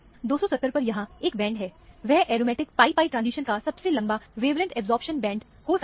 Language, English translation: Hindi, There is a band at 270; this could be the longest wavelength absorption band of the aromatic pi pi; so, a transition